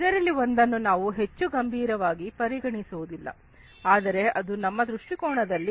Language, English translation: Kannada, One thing that is often not looked upon seriously, but it is very important from our viewpoint for Industry 4